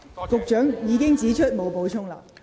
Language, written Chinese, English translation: Cantonese, 局長已經表示沒有補充。, The Secretary already indicated that he had nothing to add